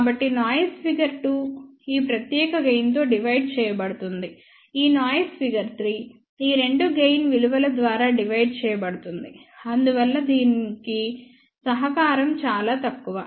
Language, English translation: Telugu, So, noise figure 2 gets divided by this particular gain, this noise figure 3 gets divided by these two gain values hence the contribution because of this is very very small